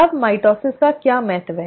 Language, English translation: Hindi, Now what is the importance of mitosis